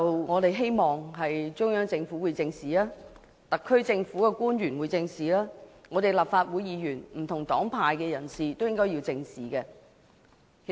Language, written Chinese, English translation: Cantonese, 我們希望中央政府、特區政府，以及立法會不同黨派人士都會正視有關問題。, We hope the Central Government the SAR Government as well as Members belonging to different political parties and groupings of the Legislative Council will face up to the issue